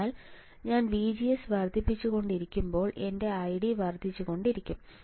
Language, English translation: Malayalam, So, as I keep on increasing VGS my I D will keep on increasing